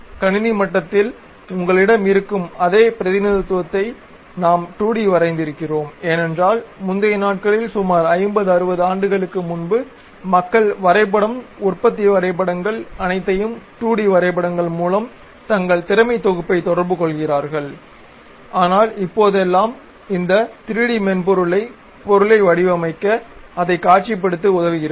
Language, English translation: Tamil, The 2D sketches what we have drawn the same representation you will have at computer level also because earlier days something like some 50 60 years back people communicate their skill set in terms of drawing, production drawings everything through 2D drawings, but nowadays these 3D softwares really help us to visualize the object to design it